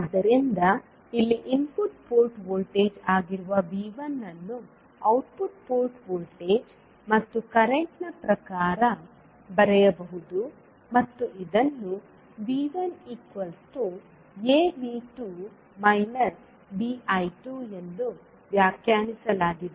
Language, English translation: Kannada, So here the input port voltage that is V 1 can be written in terms of output port voltage and current and it is defined as V 1 is equal to A V 2 minus B I 2